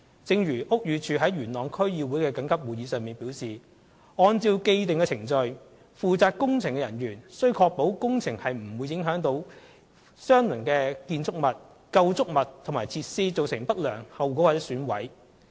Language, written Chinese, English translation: Cantonese, 正如屋宇署於元朗區議會的緊急會議上表示，按照既定程序，負責工程的人員須確保工程不會影響相鄰的建築物、構築物及設施，造成不良後果或損毀。, Just as BD stated in the urgent meeting of the Yuen Long District Council according to established procedures the personnel responsible for the building works should ensure that the building works will not affect adjacent buildings structures and services and bring about adverse effects on or cause damage to them